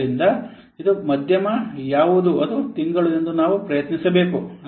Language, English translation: Kannada, So hence we should try for what this is the middle one that is the month